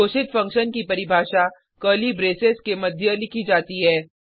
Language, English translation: Hindi, The definition of a declared function is written between curly braces